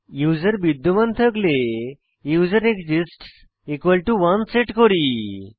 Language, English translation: Bengali, If the username exists then we set userExists to 1